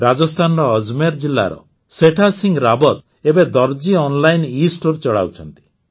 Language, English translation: Odia, Setha Singh Rawat ji of Ajmer district of Rajasthan runs 'Darzi Online', an'Estore'